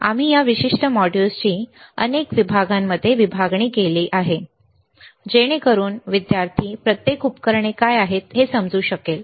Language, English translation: Marathi, We have divided these particular modules into several sections so that this student can understand what are each equipment